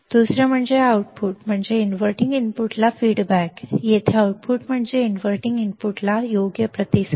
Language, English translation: Marathi, Second is output is feedback to the inverting input, output here is feedback to the inverting input correct